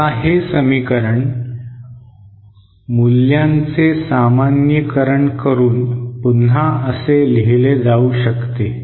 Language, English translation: Marathi, Now this equation can be rewritten in terms of the normalized values like this